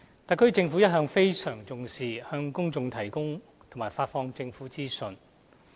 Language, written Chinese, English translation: Cantonese, 特區政府一向非常重視向公眾提供和發放政府的資訊。, The SAR Government has all along attached great importance to providing and disseminating government information to the public